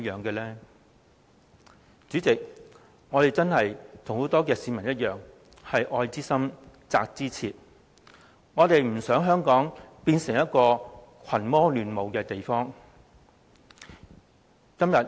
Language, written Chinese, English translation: Cantonese, 代理主席，我們與很多市民一樣，都是愛之深，責之切，我們不想香港變成一個群魔亂舞的地方。, Deputy President like most members of the public our deep love for Hong Kong drives us to raise strong criticisms . We do not wish to see Hong Kong becoming a place where people run amok